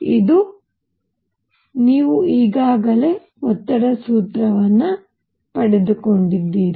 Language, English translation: Kannada, This, you already derived the formula for pressure